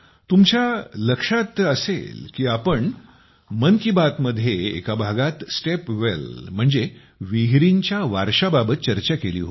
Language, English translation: Marathi, You will remember, in 'Mann Ki Baat' we once discussed the legacy of step wells